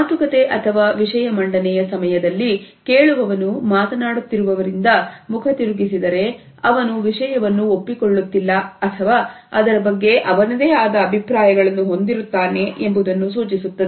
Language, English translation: Kannada, If the listener looks away from the speaker during the talk or presentation, it suggest that the listener does not necessarily agree with the content or has certain reservations about it